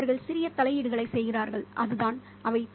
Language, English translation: Tamil, They make small interventions, but that's what they are